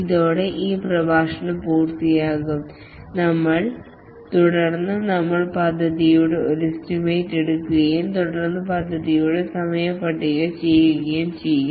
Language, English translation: Malayalam, With this we'll be completing this lecture and then we'll take up estimation of the project and then scheduling of the project